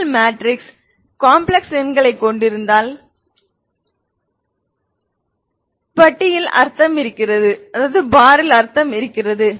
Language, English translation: Tamil, If your matrix is having complex numbers then the bar makes sense